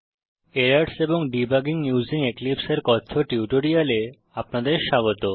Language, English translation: Bengali, Welcome to the tutorial on Errors and Debugging using Eclipse